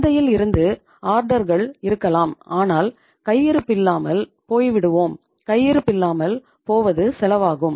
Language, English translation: Tamil, There might be the orders from the market but we are out of stock and out of stock itself has a cost